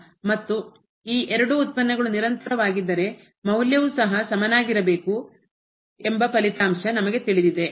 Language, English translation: Kannada, And we know the result that if these 2 derivatives are continuous then the value should be also equal